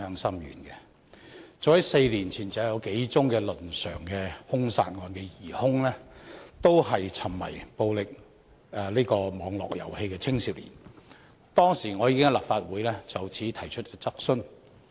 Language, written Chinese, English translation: Cantonese, 早在4年前，幾宗倫常兇殺案的疑兇均是沉迷暴力網絡遊戲的青少年，當時我已經在立法會就此提出質詢。, The suspects of several family homicide cases happened four years ago are youngsters addicted to playing online violent games . I did raise a question on this at the Legislative Council that time